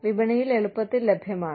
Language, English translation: Malayalam, Easily available in the market